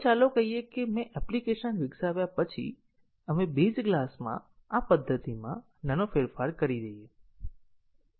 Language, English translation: Gujarati, Now, let us say after I have developed an application, we make a small change to this method in the base class